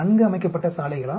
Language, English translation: Tamil, Is it well laid out roads